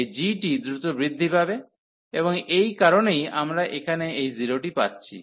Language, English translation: Bengali, This g will be growing faster, and that is a reason here we are getting this 0